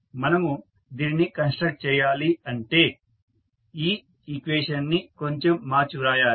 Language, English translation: Telugu, We have to construct, we have to rearrange this equation as shown in this equation